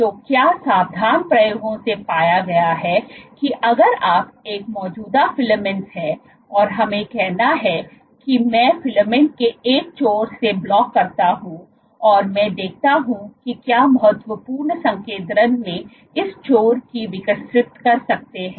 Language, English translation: Hindi, So, what has been found by careful experiments, if you have an existing filament and let us say I block off, I block off one end of the filament and I see at what critical concentration this end can grow, can grow